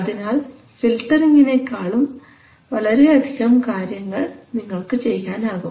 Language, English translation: Malayalam, So you can do more than just doing filtering